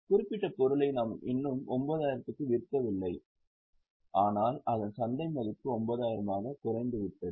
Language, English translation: Tamil, We have not yet sold the particular item at 9,000 but its market value has come down to 9,000